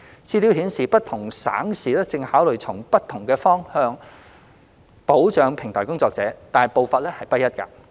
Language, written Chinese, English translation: Cantonese, 資料顯示，不同省市正考慮從不同方向保障平台工作者，但步伐不一。, Information shows that different provinces and cities are considering different directions to protect platform workers but they are at different stages